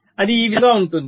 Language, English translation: Telugu, see, it is something like this